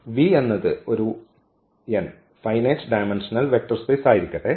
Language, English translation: Malayalam, So, let V be a vector space of this finite dimension n